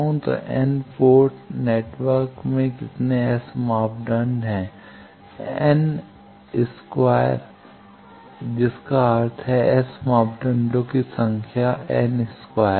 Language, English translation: Hindi, So how many S parameters are there in an n port network there are n by n that means n square number of S parameters